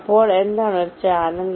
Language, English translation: Malayalam, so what is a channel